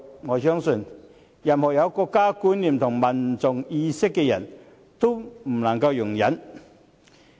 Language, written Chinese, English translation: Cantonese, 我相信，任何有國家觀念和民族意識的人都不能夠容忍。, I believe anyone who has a sense of national identity and nationalism will not be able to tolerate it